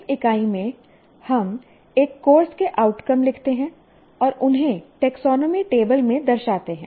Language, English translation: Hindi, Now in this unit, we write outcomes of a course and locate them in the taxonomy table